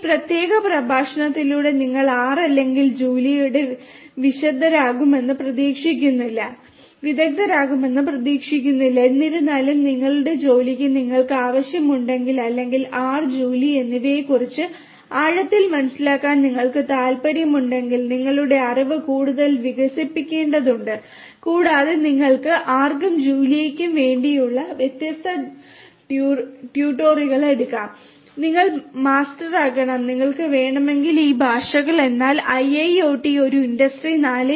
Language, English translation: Malayalam, With this particular lecture you are not expected to become an expert of R or Julia; however, if your job requires you or if you are indeed interested to have a deeper understanding of R and Julia you have to build your knowledge further and you have to take different tutorials that are there for R and Julia and you have to become master of these languages if you are required to, but from a course perspective for IIoT an Industry 4